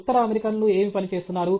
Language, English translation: Telugu, What are the North Americans working on